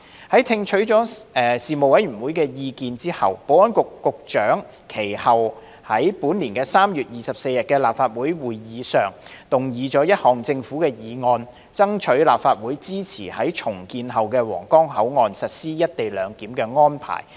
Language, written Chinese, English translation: Cantonese, 在聽取了事務委員會的意見後，保安局局長其後在本年3月24日的立法會會議上動議一項政府議案，爭取立法會支持在重建後的皇崗口岸實施"一地兩檢"安排。, After receiving the Panels views the Secretary for Security subsequently moved a Government motion at the meeting of the Legislative Council on 24 March this year to solicit the Councils support for implementing the co - location arrangement at the redeveloped Huanggang Port